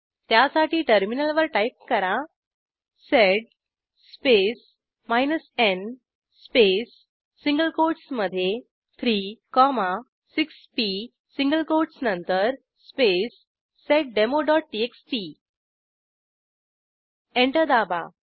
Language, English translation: Marathi, Let me clear the promt Now Type sed space n space within single quotes $p after the single quotes space seddemo.txt Press Enter